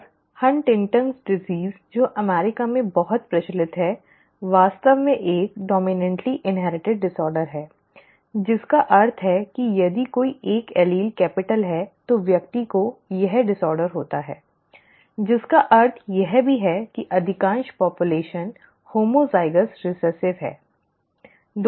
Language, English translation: Hindi, And HuntingtonÕs disease which is so prevalent in the US is actually a dominantly inherited disorder which means if one allele is capital then the person has the disorder which also means that most of the population is homozygous recessive, okay